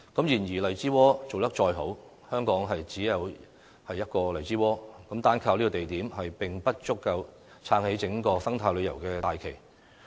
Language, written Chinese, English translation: Cantonese, 然而，荔枝窩做得再好，香港亦只得一個荔枝窩，單靠這個地點，並不足以撐起整個生態旅遊的大旗。, However no matter how attractive Lai Chi Wo is there is only one Lai Chi Wo in Hong Kong . This single project is unable to prop up the entire eco - tourism development